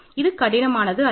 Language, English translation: Tamil, This is not difficult at all